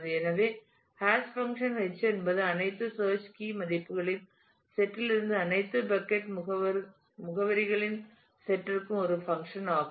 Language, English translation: Tamil, So, hash function h is a function from the set of all search key values K to the set of all bucket addresses B